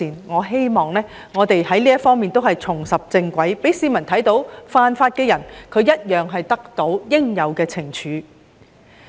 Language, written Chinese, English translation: Cantonese, 我希望這些方面都可以重拾正軌，讓市民看到犯法的人會得到應有懲處。, I hope that we can get back on track in these aspects so that members of the public will see lawbreakers being brought to justice